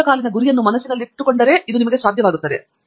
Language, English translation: Kannada, You must be able to keep the long term goal in mind